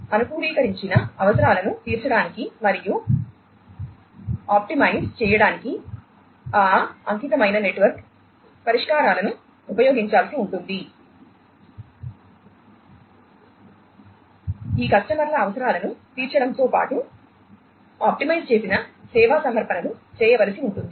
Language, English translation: Telugu, Those dedicated network solutions will have to be used in order to fulfil to the customized requirements plus optimized, you knows together with fulfilling these customers requirements optimized service offerings will have to be made